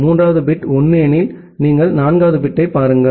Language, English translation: Tamil, If the third bit is 1, then you look into the fourth bit